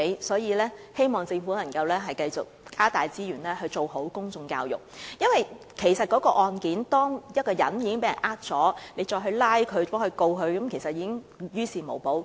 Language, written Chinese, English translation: Cantonese, 所以，我希望政府能夠繼續加大資源做好公眾教育，因為當有受害人被騙，即使將涉事的財務中介公司繩之於法，其實亦於事無補。, Therefore I hope the Government can continue to increase resources for the conduct of public education because it will actually be of no use to the victims of deception cases even if the financial intermediaries involved are brought to justice